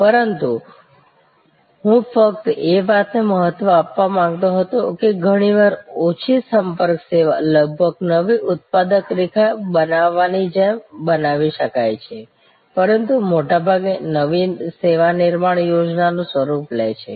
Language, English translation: Gujarati, But, I just wanted to highlight that it is quite often, a low contact service can be created almost like creating a new manufacturing line, but mostly the new service creation takes the form of a project